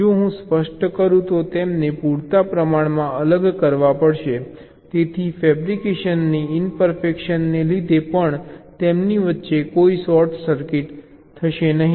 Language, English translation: Gujarati, if i specify, they have to be separated sufficiently away so even due to fabrication imperfection, there will be no short circuit between them